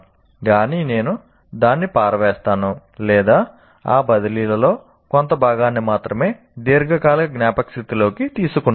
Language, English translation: Telugu, Either I throw it out or only put a bit of that into transfer it to the long term memory